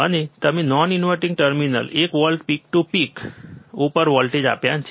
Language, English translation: Gujarati, And you have applied voltage at the non inverting terminal one volt peak to peak